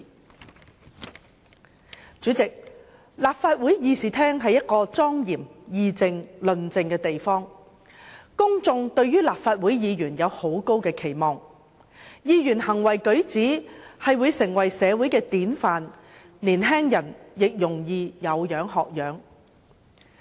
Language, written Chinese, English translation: Cantonese, 代理主席，立法會議事廳是供議政、論政的莊嚴地方，公眾對立法會議員有很高的期望，議員的行為舉止會成為社會的典範，年青人也容易有樣學樣。, Deputy President the Chamber of the Legislative Council is a solemn venue for policy debates and discussions . The public has high expectations of Legislative Council Members whose behaviour will set an example for society and young people to follow